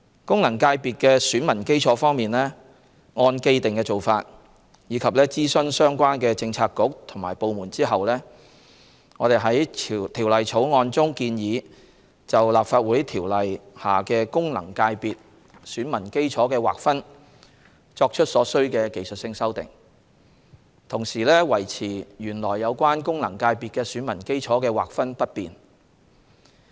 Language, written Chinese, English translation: Cantonese, 功能界別的選民基礎方面，按既定做法，以及諮詢相關政策局/部門後，我們在《條例草案》中建議就《立法會條例》下功能界別選民基礎的劃分作出所需的技術性修訂，同時維持原來有關功能界別選民基礎的劃分不變。, In respect of the electorate of the FCs in pursuance of the established practice and having consulted the relevant bureauxdepartments we propose in the Bill to make a series of necessary technical amendments in relation to the delineation of the electorate of the FCs under the Legislative Council Ordinance LCO while maintaining the original delineation of the FCs